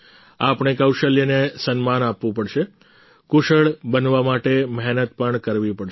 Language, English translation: Gujarati, We have to respect the talent, we have to work hard to be skilled